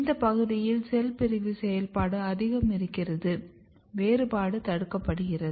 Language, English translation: Tamil, So, this is the region where cell division activity is very dominant and differentiation is inhibited